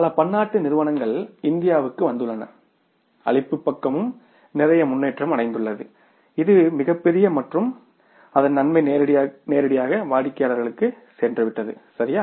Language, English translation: Tamil, Many multinational companies have come to India and supply side has improved a lot tremendously and the benefit of that has directly gone to the customers